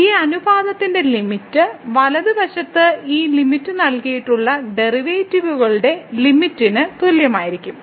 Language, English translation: Malayalam, So, in that case the limit of this ratio will be equal to the limit of the derivatives provided this limit on the right hand this exist